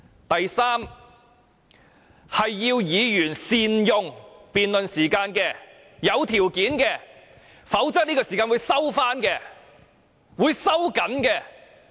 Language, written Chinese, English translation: Cantonese, 第三，是要求議員善用辯論時間，這是有條件的，否則這段時間便會收回、收緊。, Third Members are requested to make good use of the time for debate . It means a condition is imposed and if this condition is not met this time slot will be cancelled or shortened